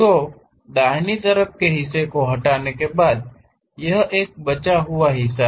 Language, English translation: Hindi, So, after removing the right side part, the left over part is this one